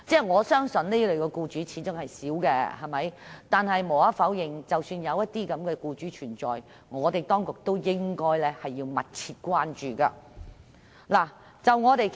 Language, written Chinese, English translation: Cantonese, 我相信這類僱主始終只屬少數，但無可否認，如果有這類僱主存在，當局便要密切關注。, I believe this kind of employers are only the minority but if such employers undeniably exist the authorities should pay close attention